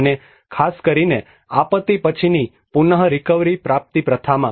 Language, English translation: Gujarati, And especially in the post disaster recovery practice